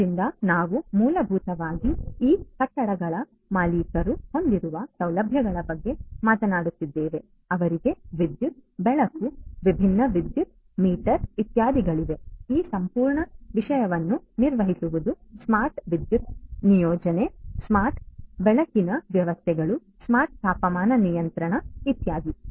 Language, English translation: Kannada, like this these buildings which have their owners, they have electricity, lighting, you know different power meters, etcetera, etcetera, managing this whole thing you know having smart electricity deployment, smart lighting systems, smart temperature control and so on